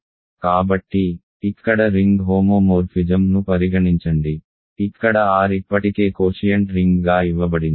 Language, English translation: Telugu, So, here consider the ring homomorphism here R is already given as a quotient ring